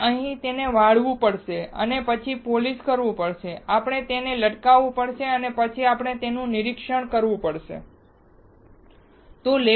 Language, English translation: Gujarati, We have to a lap it and then we have to polish it, we have to etch it and then we can inspect it